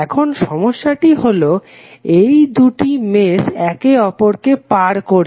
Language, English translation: Bengali, Now, the problem is that these two meshes are crossing each other